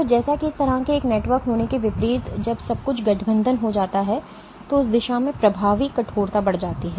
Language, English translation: Hindi, So, as opposed to having a network like this when everything gets aligned then the fibers then the effective stiffness increases in that direction